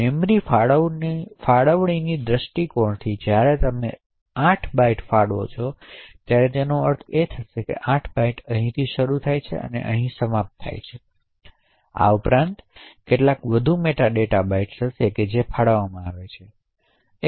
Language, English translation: Gujarati, From memory allocation point of view when you allocate 8 bytes it would mean that the 8 bytes starts from here and end over here and besides this there would be some more meta data bytes that gets allocated